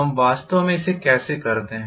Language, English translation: Hindi, How do we really go about doing it